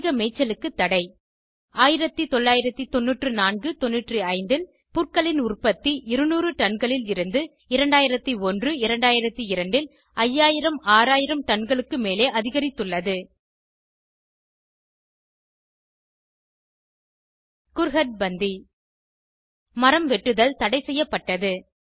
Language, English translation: Tamil, Ban on grazing increased the production of grasses from 200 tonnes in 1994 95 to more than 5000 6000 tonnes in 2001 2002 Kurhad Bandi Cutting of trees was banned